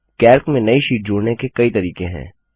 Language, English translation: Hindi, There are several ways to insert a new sheet in Calc